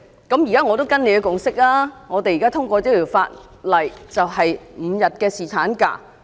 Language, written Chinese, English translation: Cantonese, 我現在跟隨這共識，我們通過這法例，立即實施5天侍產假。, We now act in accordance with the consent and enact legislation to implement five days paternity leave immediately